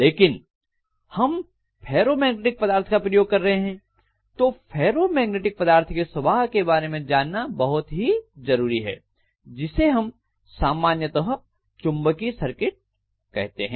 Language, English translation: Hindi, But because we are using ferromagnetic material it is very essential to know about the behavior of ferromagnetic materials; so, which we call as basically magnetic circuit